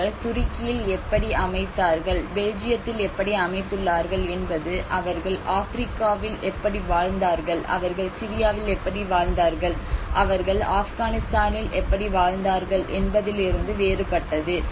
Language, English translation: Tamil, How they were living in Africa and how they were living in Syria how they were living in Afghanistan is very much different in what they have set up in Turkey or what they have set up in Belgium